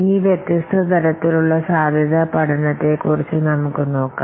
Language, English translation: Malayalam, Now let's see what are the different types of feasibility study